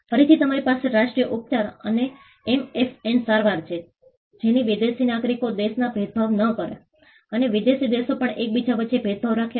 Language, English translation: Gujarati, Again, you have the national treatment and the MFN treatment, so that foreign nationals are not discriminated within the country; and also foreign countries are not discriminated between each other